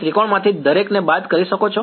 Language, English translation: Gujarati, So, you can subtract each of a triangle